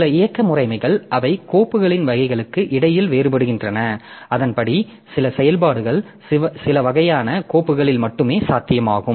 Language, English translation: Tamil, Some operating systems so they will demarcate between the types of the files and accordingly certain operations are possible on certain types of files only